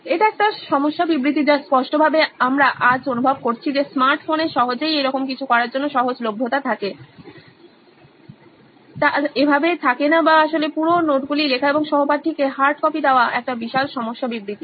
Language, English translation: Bengali, That is a problem statement definitely we feel today that not having easily having that easily accessibility to smart phones to do something like this or actually take down the entire notes and give a hard copy to the classmate is one of the huge problem statement